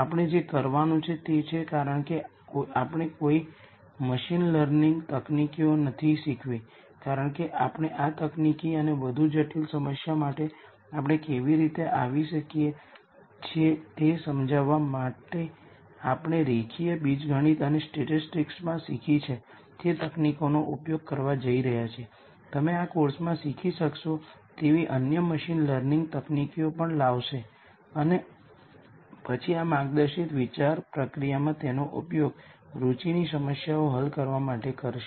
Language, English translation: Gujarati, What we are going to do is since we have not taught any machine learning techniques as yet we are going to use techniques that we have learnt in linear algebra and statistics to illustrate how we come up with this solution and for a more complicated problem, you would also bring in the other machine learning techniques that you would learn in this course and then use that in this guided thought process also to solve problems that are of interest